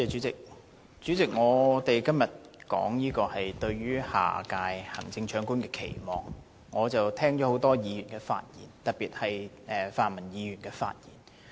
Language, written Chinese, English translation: Cantonese, 主席，我們今天討論"對下任行政長官的期望"，我聽了多位議員的發言，特別是泛民議員的發言。, President the topic of todays discussion is Expectations for the next Chief Executive . After listening to many Members speeches from pan - democratic Members in particular I find that they are still embedded in their own subjectivity